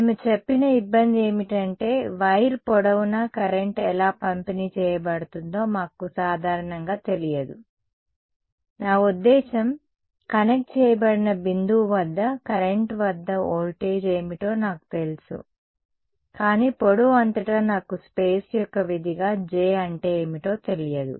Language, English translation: Telugu, The trouble we said is that we do not typically know how is the current distributed along the length of the wire; I mean, I know what is the voltage at the current at the point of connected, but across the length I do not know what is J as a function of space